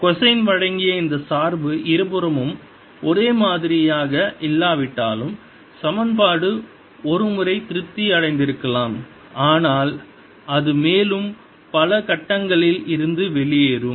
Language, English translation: Tamil, if this dependence, which is given by cosine whose, not the same on both sides although it could have the, the equation could have been satisfied once in a while, but it'll go out of phase further times